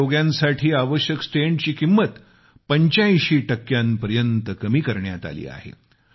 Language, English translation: Marathi, The cost of heart stent for heart patients has been reduced to 85%